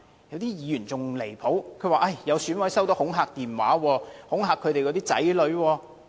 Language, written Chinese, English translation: Cantonese, 有議員更離譜，表示有選委收到恐嚇電話，恐嚇他們的子女。, A Member has made an even outrageous claim that some EC members have received threatening calls and their children